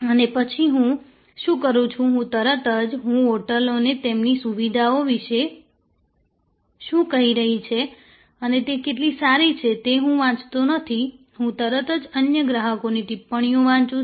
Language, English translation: Gujarati, The next thing that I do is I straight away, I do not read what the hotels are talking about, their facilities are, how great they are, I straight away read the comments from other customers